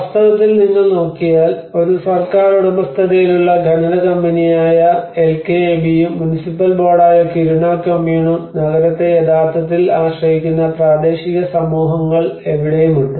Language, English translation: Malayalam, In fact, if you look at it there is a LKAB which is a state owned mining company and the Kiruna kommun which is a municipal board and where is the local communities the people who are actually relying on the town